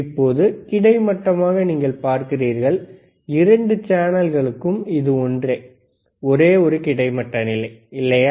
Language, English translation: Tamil, Now, you see for horizontal, for both the channels it is same, only one horizontal position, right